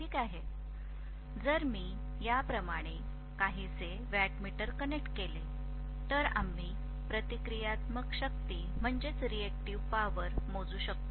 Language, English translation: Marathi, If I connect a wattmeter somewhat like this, we will be able to measure the reactive power